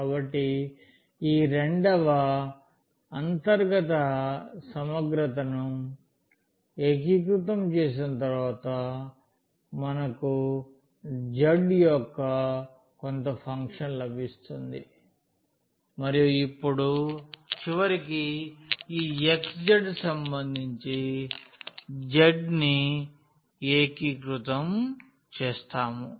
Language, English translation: Telugu, So, after the integration of this second inner integral, we will get a some function of z and now at the end we will integrate this x z with respect to z